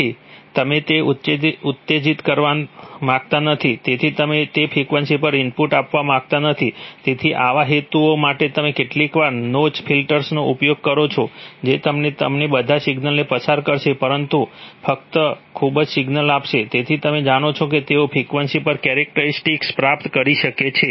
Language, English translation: Gujarati, So you do not want to excite that, so you, so you do not want to give input at that frequency, so for such purposes you sometimes use notch filters, which have, which will give you, which will pass all signals but only in a very, so they have, you know, they have gained characteristics over frequency I am sorry